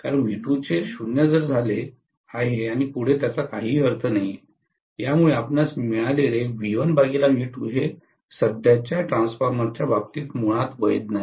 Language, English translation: Marathi, Because V2 become 0 it doesn’t make any sense further, so you are going to have basically V1 by V2 absolutely not valid in the case of a current transformer